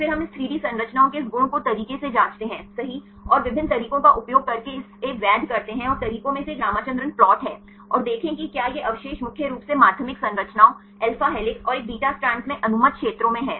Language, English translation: Hindi, Then we check this quality of this 3D structures right and validating this using various methods and one of the methods is the Ramachandran plot and see whether these residues are in the allowed regions mainly in the secondary structures alpha helixes and the a beta strands